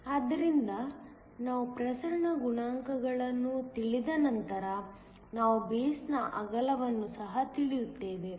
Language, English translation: Kannada, So, once we know the diffusion coefficient, we also know the width of the base